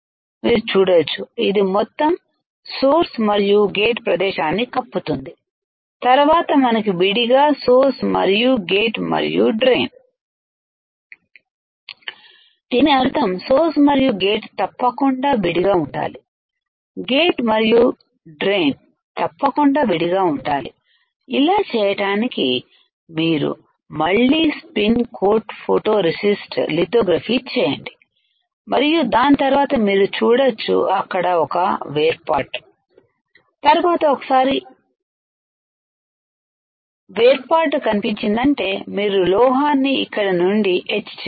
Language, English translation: Telugu, When we deposit the metal you can see this it is covering all the area source and as well as gate, then we have to separate the source and gate and drain; that means, source and gate should be separated, gate and drain should be separated to do that you have to again spin coat photoresist, do the lithography and then you can see there is a separation, then once the separation is there you had to etch the metal from here